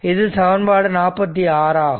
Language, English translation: Tamil, This is equation 47 right